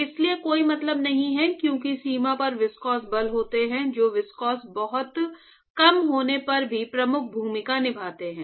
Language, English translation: Hindi, It does not make sense because at the boundary viscous forces are the ones, which play dominant role even if the viscosity is very small